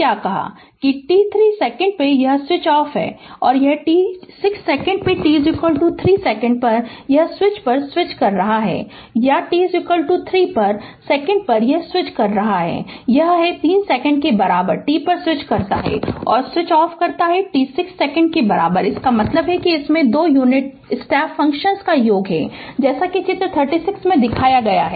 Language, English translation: Hindi, A t 3 second it is switches off and t 6 second at t is equal to your 3 second, it is switching on switches or switches on at t is equal to 3 second, h ere it is it is switches on at t equal to 3 second and switches off at t equal to 6 second; that means, it consists of sum of 2 unit step functions as shown in figure 36